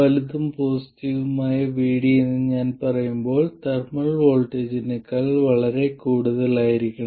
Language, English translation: Malayalam, And when is it large when VD is large and positive when I say large and positive VD must be much more than the thermal voltage